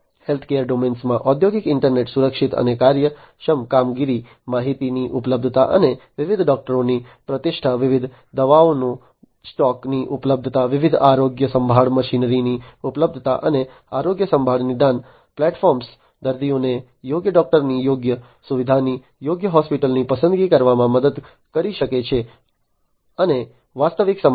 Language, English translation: Gujarati, In the healthcare domain industrial internet enables safe and efficient operations, availability of the information, and reputation of different doctors, availabilities of stock of different medicines, availability of different healthcare machinery, and healthcare diagnostic platforms can help the patients to choose the right doctor, the right facility, the right hospital and so, on in real time